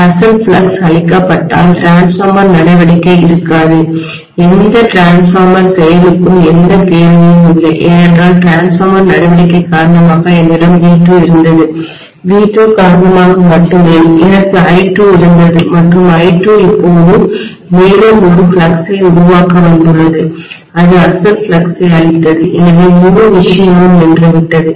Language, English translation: Tamil, If the original flux is killed, the transformer action ceases to exist, there is no question of any transformer action because only because of the transformer action I had V2, only because of V2 I had I2 and I2 has now come up to generate one more flux which has killed the original flux, so entire thing has come to a standstill